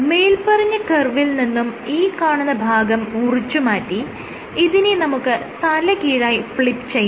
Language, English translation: Malayalam, So, what you do is from this curve, you cleave this portion of the curve and you flip it upside down and you flip it